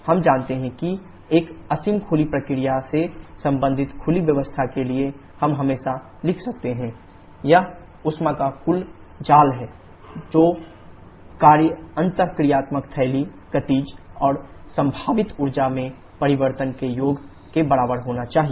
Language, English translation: Hindi, We know that for an infinitesimal open process related to open system we can always write del q del w should be equal to dh + d of Kinetic energies plus d of potential energies that is a total net of heat and work interaction should be equal to the summation of changes in enthalpy kinetic and potential energies